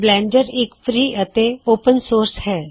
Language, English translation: Punjabi, Blender is Free and Open Source